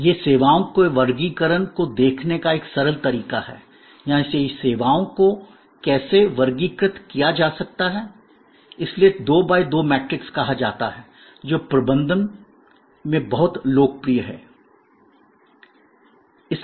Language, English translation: Hindi, This is a simple way of looking at the taxonomy of services or how services can be classified, so it is say 2 by 2 matrix, which is very popular in management